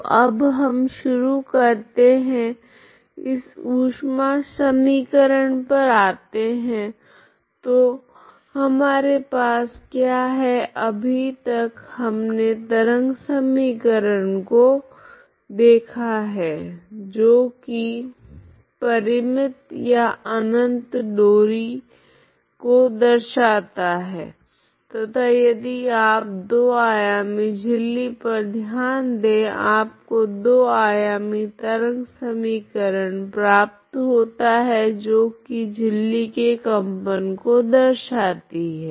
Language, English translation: Hindi, So we will start now we can move on to heat equation so what we have seen so far is a wave equation that is that models string infinite string is actual finite or infinite string and if you consider infinite membrane if you consider two dimensional membrane or two dimensional membrane that is actually that so that is the and you get a two dimensional wave equation that models this membrane vibration of a membrane vibration of a string is one dimensional wave equations